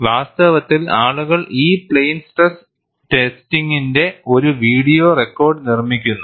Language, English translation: Malayalam, And, in fact, people make a video record of this plane stress testing